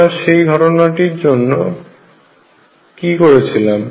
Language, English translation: Bengali, What did we do in that case